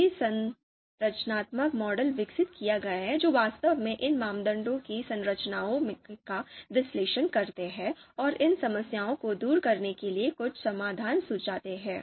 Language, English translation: Hindi, So a number of structural structural models are have been developed which actually analyze the you know structures of you know these criteria and suggest some solution to overcome you know these problems